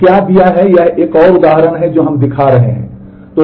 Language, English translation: Hindi, So, what given that this is another example we were showing